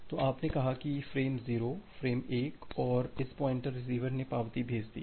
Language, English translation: Hindi, So, you have transmitted say frame 0, frame 1 and at this pointer the receiver has sent acknowledgement 0